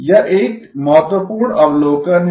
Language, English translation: Hindi, That is an important observation